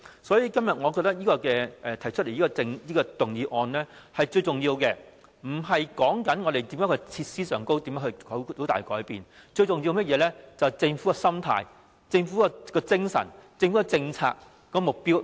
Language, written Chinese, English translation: Cantonese, 所以，我認為今天提出的這項議案，針對的並非要在設施上有甚麼大改變，最重要的其實是政府的心態、精神和政策目標。, For this reason I think the focus of this motion proposed today is not on making any major changes in the facilities . What matters most is actually the Governments attitude mentality and policy objective